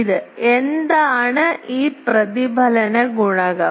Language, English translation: Malayalam, And this, what is this reflection coefficient